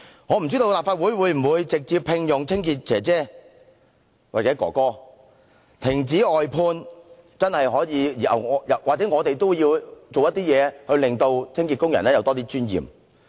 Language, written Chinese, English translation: Cantonese, 我不知道立法會會否直接聘用清潔工人，但或許我們也應停止外判或做點事令清潔工人有多點尊嚴。, I do not know whether cleaning workers will be directly employed by the Legislative Council but maybe we should also stop the outsourcing practice or do something to give cleaning workers more dignity